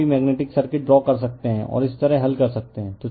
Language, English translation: Hindi, Here also we can draw the magnetic circuit, and we can solve like this right